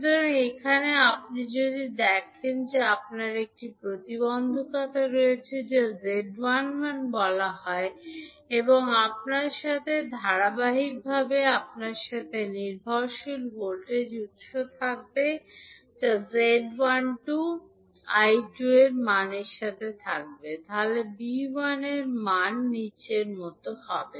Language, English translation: Bengali, So, here, if you see you have one impedance that is called Z11 and in series with you will have one dependent voltage source that is having the value of Z12 I2, so what would be the value of V1